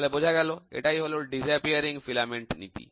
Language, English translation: Bengali, So, this is what is called a disappearing filament principle